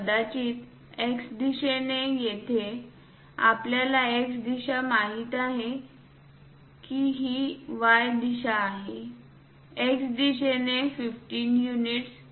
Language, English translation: Marathi, Perhaps in the X direction, here we know X direction it is the Y direction; in the X direction 15 units